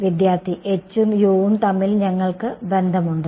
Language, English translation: Malayalam, We have a relation between h and u